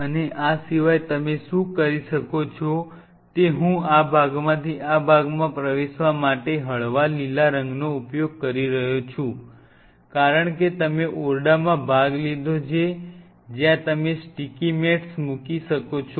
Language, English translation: Gujarati, And apart from it what you can do is out here I am using a light green color from entering from this one to this part, because you have partitioned the room you can put the sticky mats